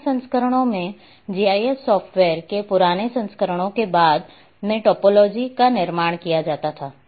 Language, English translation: Hindi, In earlier version older versions of GIS software it it was later on it used to be constructed topologies